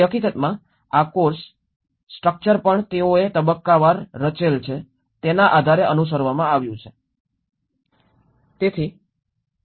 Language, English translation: Gujarati, So in fact, even this course structure has been followed based on the way they have structured the phase wise